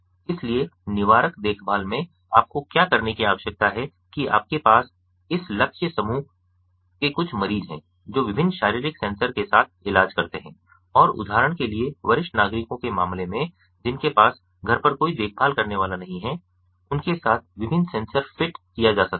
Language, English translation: Hindi, so in preventive care, what you need to do is, you know you have some of this target group of patients treated with different physiological sensors and, for instance, in the case of ah, seniors, senior citizens ah, who do not have any caregiver at home, they could be fitted with different sensors